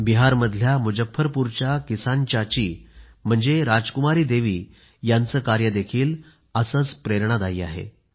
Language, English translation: Marathi, 'Farmer Aunty' of Muzaffarpur in Bihar, or Rajkumari Devi is very inspiring